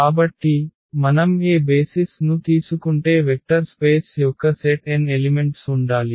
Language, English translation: Telugu, So, whatever basis we take the dimension is n of the vector space then there has to be n elements in the set